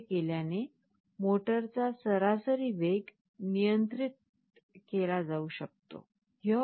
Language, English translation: Marathi, By doing this, the average speed of the motor can be controlled